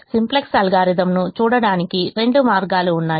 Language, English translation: Telugu, there are two ways of looking at the simplex algorithm